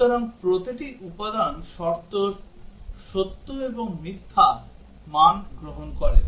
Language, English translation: Bengali, So, each component condition is takes true and false value